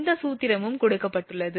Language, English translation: Tamil, This formula is also given